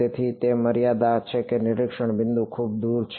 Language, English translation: Gujarati, So, it is the limit that the observation point is very far away